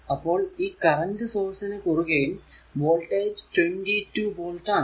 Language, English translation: Malayalam, So, across this across this current source the voltage is also 22 volt because here it is across this is 22 volt